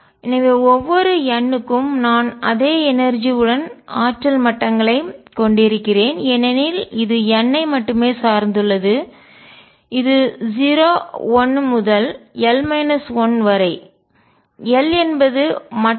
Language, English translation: Tamil, So, for each n I have energy levels with the same energy because it depends only on n 0 1 up to l minus 1; l levels